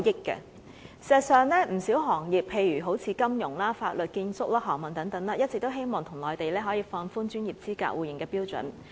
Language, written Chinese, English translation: Cantonese, 事實上，不少行業，例如金融、法律、建築、航運等，一直希望內地可以放寬專業資格互認的標準。, In fact the financial legal architectural maritime and some other industries have eagerly asked for relaxation of the criteria for the mutual recognition of their professional qualifications in the Mainland